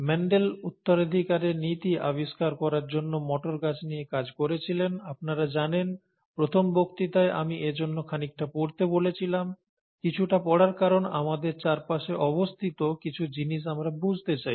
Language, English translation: Bengali, Mendel worked with pea plants to discover the principles of inheritance, you know, the very first lecture, the introductory lecture, I had mentioned about studying something for the sake of it, studying something because we want to understand something that exists around us